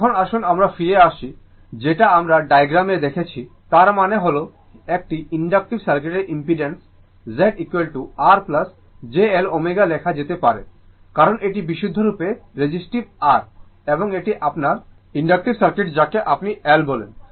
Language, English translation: Bengali, Now, let us come back to your what you call to the diagram once again, that that means that impedance of an inductive circuit Z is equal to we can write R plus j L omega right, because this is this is purely resistive R, and this is your inductive circuit your what you call L